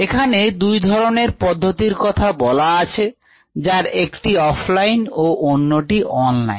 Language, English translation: Bengali, there are two kinds of methods: ah, one online and the other off line